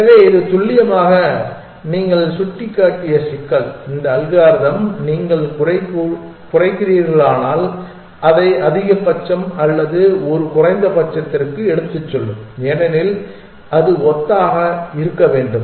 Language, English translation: Tamil, So, precisely the problem that you have pointing out that this algorithm will take it to maxima or a minima if you are minimizing because it should be analogous